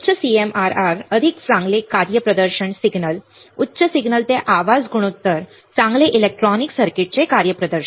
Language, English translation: Marathi, Higher CMRR better the better the performance signal, higher signal to noise ratio better the performance of electronic circuit all right